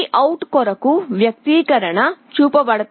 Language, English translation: Telugu, The expression for VOUT is shown